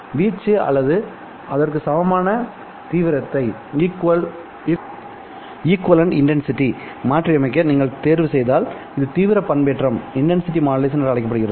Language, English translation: Tamil, If you simply choose to modulate the amplitude or equivalently intensity, this is called as intensity modulation